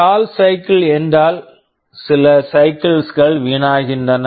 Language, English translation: Tamil, Stall cycle means some cycles are wasted